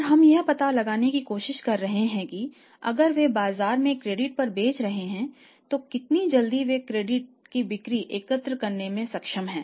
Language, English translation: Hindi, And we trying to find out that if they are selling on the credit in the market so how quickly they are able to collect the credit sales